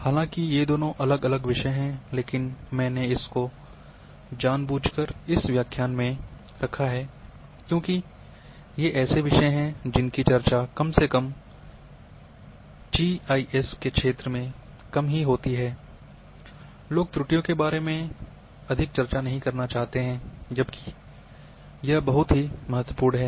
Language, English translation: Hindi, Though these are two different topics, but I have deliberately kept in one lecture because, these are the topics which are least discussed in literature or in GIS domain,people do not want to discuss much about the errors whereas, this is very important